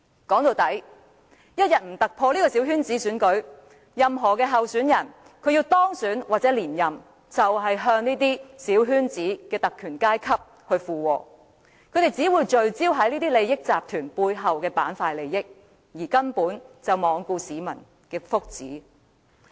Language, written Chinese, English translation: Cantonese, 說到底，我們一天未突破小圈子選舉，任何候選人希望當選或連任，都只會附和小圈子中的特權階級，他們只會聚焦於這些利益集團背後的利益板塊，根本罔顧市民的福祉。, At the end of the day if the small - circle election remains intact any candidate who wishes to win the election or run for re - election will only tilt in favour of the privileged class within the small circle and focus on the interest plates behind the interest groups completely disregarding the well - being of the public